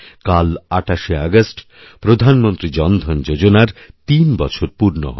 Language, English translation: Bengali, Tomorrow on the 28th of August, the Pradhan Mantri Jan DhanYojna will complete three years